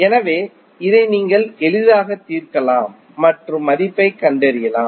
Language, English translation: Tamil, So, this you can easily solve and find out the value